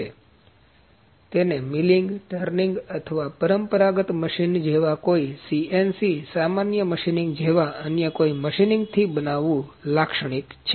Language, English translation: Gujarati, So, it is typical to fabricate it with any other machining like a milling, turning or the conventional machines always may be bit CNC, general machining